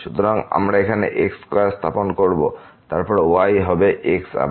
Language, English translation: Bengali, So, we will put here square and then, will be again